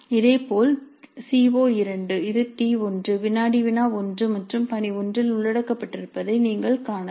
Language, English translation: Tamil, Similarly CO2 you can see it is covered in T1, quiz 1 as well as assignment 1